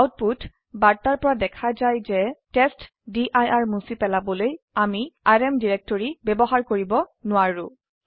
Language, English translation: Assamese, From the output message we can see that we can not use the rm directory to delete testdir